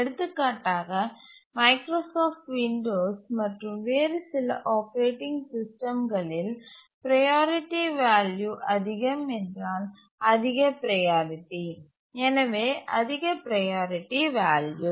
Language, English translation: Tamil, For example, in Microsoft Windows and some other operating systems, the priority value is the higher the priority, the higher is the priority value